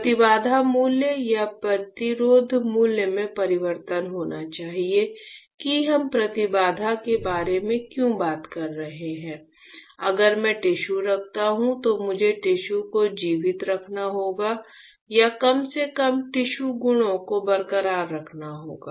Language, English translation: Hindi, There should be change in the impedance value or resistance value why we are talking about impedance, is that if I place the tissue I have to keep the tissue alive or at least keep the tissue properties intact